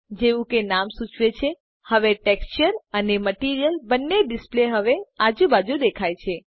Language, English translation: Gujarati, As the name suggests, both texture and material displays are visible side by side now